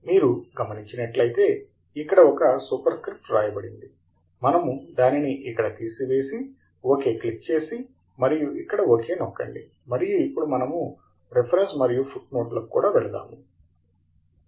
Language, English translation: Telugu, As you can see there is a Super script written here, we remove that here, and say OK, and then OK here, and we then also go to References and Footnotes